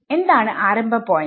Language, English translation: Malayalam, So, what is the starting point